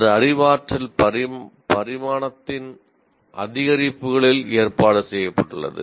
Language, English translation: Tamil, It is arranged in increments of the cognitive dimension